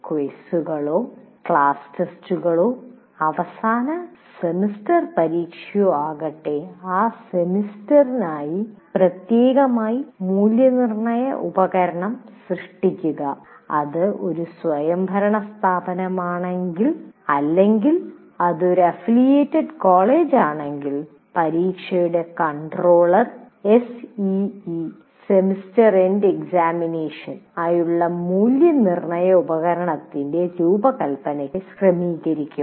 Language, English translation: Malayalam, Whether it is quizzes or class tests or the end semester exam, if it is an autonomous institution, or otherwise if it is it is affiliated college the controller of exam will organize will arrange for design of assessment instrument for a C